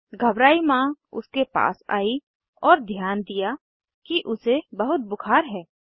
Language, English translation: Hindi, The worried mother who came near her noticed that she has a high temperature